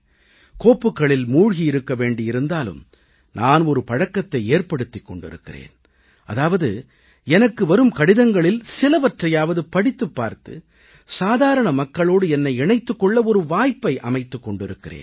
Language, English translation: Tamil, I have to remain deeply absorbed in files, but for my own self, I have developed a habit of reading daily, at least a few of the letters I receive and because of that I get a chance to connect with the common man